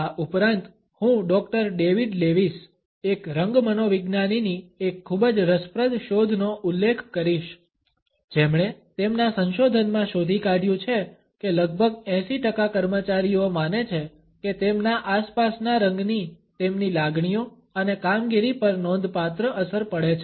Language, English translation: Gujarati, Also I would refer to a very interesting finding of Doctor David Lewis, a color psychologist who has found in his research that about 80 percent employees believe that the color of their surroundings has a significant impact on their emotions and performance